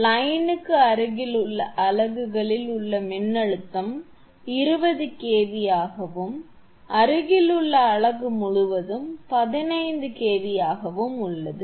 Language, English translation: Tamil, The voltage across the units nearest to the line is 20 kV and that across the adjacent unit is 15 kV